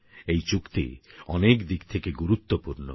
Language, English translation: Bengali, This agreement is special for many reasons